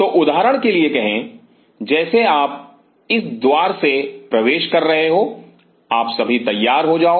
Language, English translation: Hindi, So, say for example, like you are entering through this door you get all dressed up